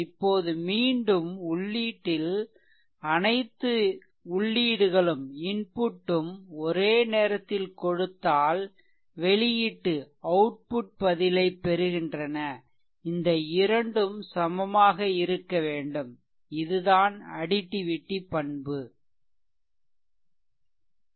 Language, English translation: Tamil, Now again at the input all the inputs are there get output response this 2 must be your equal right so, that is call actually additivity property